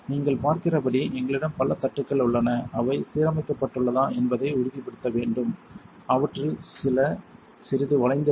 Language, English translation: Tamil, As you can see we have several trays you want to make sure these are aligned some of them are little bent